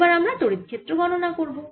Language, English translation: Bengali, so now we will calculate e electric field first